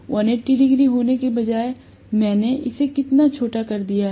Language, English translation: Hindi, Instead of having 180 degrees, how much I have shortened it